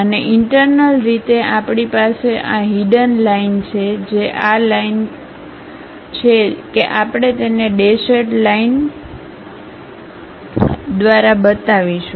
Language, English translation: Gujarati, And, internally we have these hidden lines which are these lines, that we will show it by dashed lines